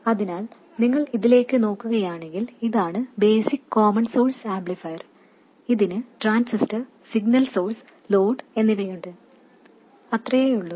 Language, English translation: Malayalam, So, if you look at this, this is the basic common source amplifier, it has the transistor, signal source and load, that is all